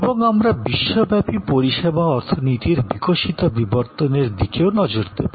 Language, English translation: Bengali, And we will look at the evolve evolution of the global service economy